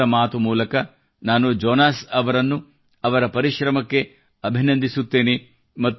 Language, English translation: Kannada, Through the medium of Mann Ki Baat, I congratulate Jonas on his efforts & wish him well for his future endeavors